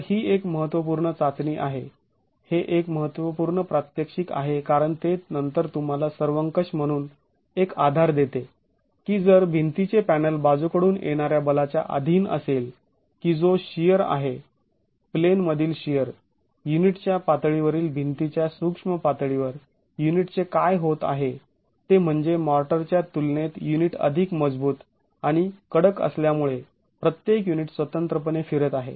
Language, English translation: Marathi, So, it's an important test, it's an important demonstration because it then gives you a basis to say globally if the wall panel is subjected to lateral forces which is shear, plain shear at the level of the unit, at the micro level of the wall, what's happening to the unit is that because of the unit being stronger and rigid in comparison to the motor, each unit is individually rotating